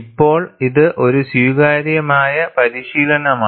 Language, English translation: Malayalam, Now, it is an accepted practice